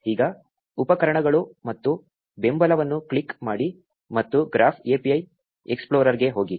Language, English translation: Kannada, Now, click on tools and support and go the graph API explorer